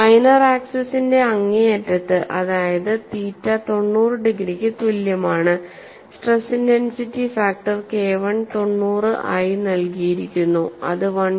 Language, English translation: Malayalam, At the extreme end of the minor axis, that is, theta equal to ninety degrees, the stress intensity factor is given as K 190 that is equal to 1